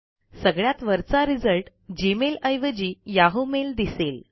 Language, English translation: Marathi, Instead the top result is Yahoo mail